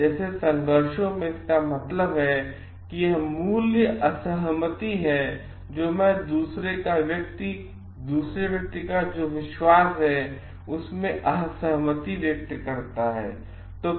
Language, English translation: Hindi, Like in conflicts means it is a value disagreements disagreement, in what I believe in disagreement in what the other person believes